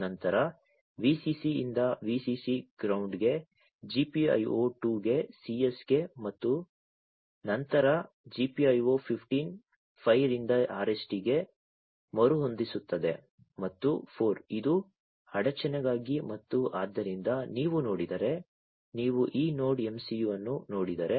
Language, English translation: Kannada, Then Vcc to Vcc ground to ground to GPIO 2 to CS and then GPIO 15 5 to RST which is the reset and 4 this is for the interrupt and so these, if you look, at if you look at this NodeMCU